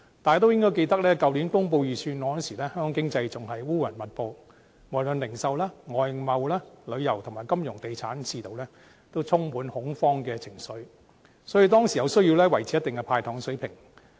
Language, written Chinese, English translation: Cantonese, 大家應該記得，去年公布預算案時，香港的經濟仍然烏雲密布，無論是零售、外貿、旅遊和金融地產的市道，也充滿恐慌的情緒，所以當時有需要維持一定的"派糖"水平。, We should be able to remember that when the Budget was announced last year the Hong Kong economy was in doldrums and a ripple of panic swept through the retail foreign trade tourism financial and real estate sectors . Hence it was necessary to maintain a certain level of sweeteners to be doled out back then